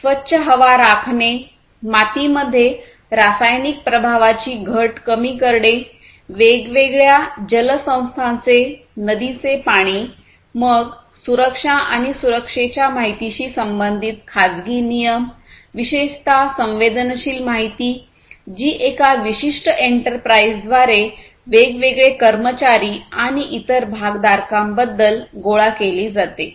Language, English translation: Marathi, Maintaining clean air, reduction of chemical effects in soil, river water of different water bodies and so on, then privacy regulations basically concerned the, you know, the information the safety of safety and security of the information particularly the sensitive information that is collected about the different employees and the different other stakeholders by a particular enterprise